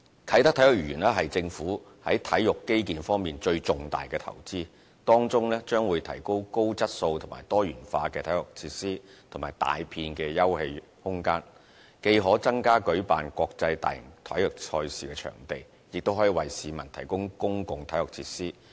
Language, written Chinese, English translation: Cantonese, 啟德體育園是政府在體育基建方面最重大的投資，當中將提供高質素和多元化體育設施及大片休憩空間，既可增加舉辦國際大型體育賽事的場地，亦可為市民提供公共體育設施。, The Kai Tak Sports Park is the most important investment of the Government in sports infrastructure . It will provide high quality and diversified sports facilities and a large landscaped park which will not only provide more venues for hosting major international sporting competitions but also provide public sports facilities for the general public